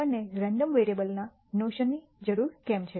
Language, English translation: Gujarati, Why do we need a notion of a random variable